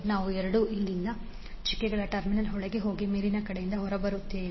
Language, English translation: Kannada, I 2 will go inside the dotted terminal from here and come out from the upper side